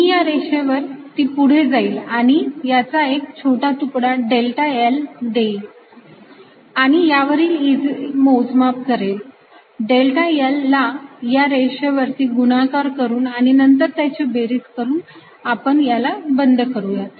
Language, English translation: Marathi, i'll move along the line, taking small segments, delta l, and calculate e on i'th segment, multiply by delta l along the lines and add it and make this path closed